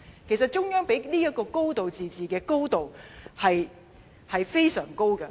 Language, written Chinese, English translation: Cantonese, 其實中央給予這個"高度自治"的高度，是非常高的。, The Central Authorities allow us a really a high degree of autonomy